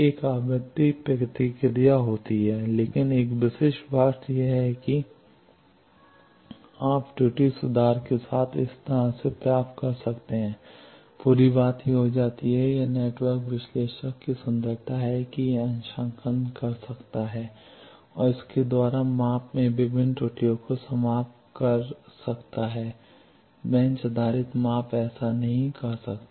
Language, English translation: Hindi, There should be a frequency response, but a typical thing is you get like this with error correction the whole thing becomes this, that is the beauty of network analyzer that it can do calibration and by that it can eliminate various errors in measurement bench based measurement could not do that